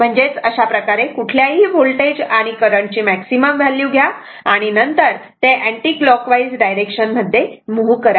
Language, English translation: Marathi, That is this that means, this way you take the maximum value of any voltage and current, and then you are moving in the clock anticlockwise direction